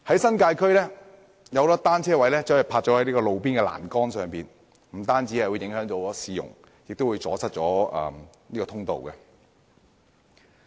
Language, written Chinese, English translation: Cantonese, 新界區有很多單車停泊在路邊欄杆，不但影響市容，更會阻塞通道。, The large number of bicycles parked by roadside railings in the New Territories has not only affected the streetscape but also obstructed access